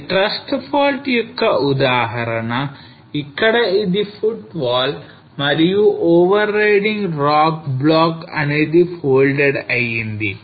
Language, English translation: Telugu, This is an example of the thrust fault where this is in footwall and the overriding rock block is folded